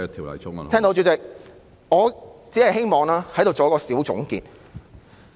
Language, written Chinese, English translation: Cantonese, 我聽到，主席，我只希望在此作一個小總結。, Got it . President I only want to draw a conclusion here